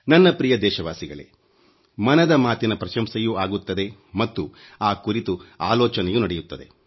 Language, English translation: Kannada, My dear countrymen, 'Mann Ki Baat' has garnered accolades; it has also attracted criticism